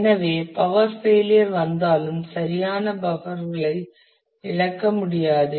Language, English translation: Tamil, So, that even if power fails the right buffers will not be lost